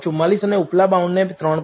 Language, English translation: Gujarati, 44, and the upper bound as 3